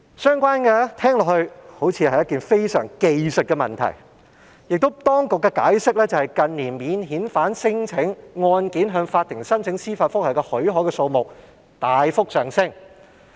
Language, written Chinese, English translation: Cantonese, 相關事項聽起來好像是一些技術問題，當局解釋也指由於近年免遣返聲請案件向法庭申請司法覆核許可的數目大幅上升，故提出修訂。, These matters sound like some sort of technical issues and the authorities have also explained that amendments have been proposed in the face of a sharp increase in the number of applications for leave to apply for judicial reviews in relation to non - refoulement claims